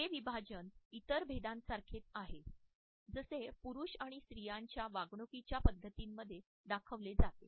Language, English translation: Marathi, This dichotomy is similar to other distinctions which have been made between the behavior patterns of men and women